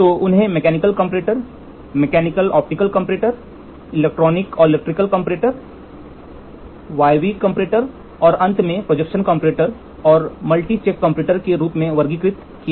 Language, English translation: Hindi, So, they are classified like Mechanical comparators, they are classified as Mechanical comparators, Mechanical optical comparator, Electrical and electronics comparators, Pneumatic comparators and finally, Projection comparators and multi check comparators